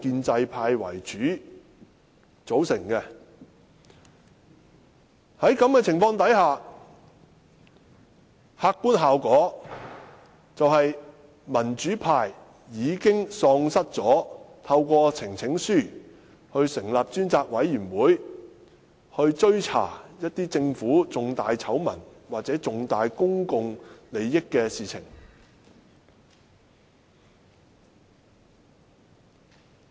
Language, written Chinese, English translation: Cantonese, 在這種情況下，客觀效果便是民主派已經喪失機會，透過提交呈請書成立專責委員會，追查政府重大醜聞或關乎重大公共利益的事情。, As result the pro - democracy camp will in effect be rendered unable to form a select committee through the presentation of a petition for the purpose of investigating major government scandals or issues of important public interest